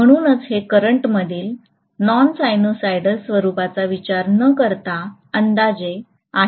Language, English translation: Marathi, So this is an approximation without considering the non sinusoidal nature of the current